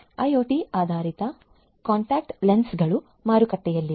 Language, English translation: Kannada, IoT based contact lenses are also there in the market